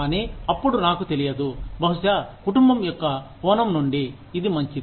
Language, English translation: Telugu, But, then, I do not know, maybe, from the perspective of the family, this is good